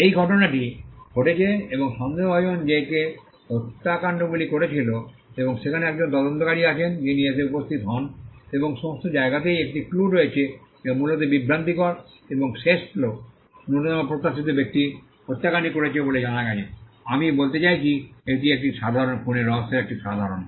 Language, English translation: Bengali, There is an event and there is doubt with regard to who committed that murder and there is an investigator who comes in and there are clues all over the place which are largely misleading and at the end the least expected person is found to have committed the murder, I mean it is a typical in a typical murder mystery